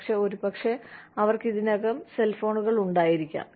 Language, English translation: Malayalam, But, maybe, they already have cellphones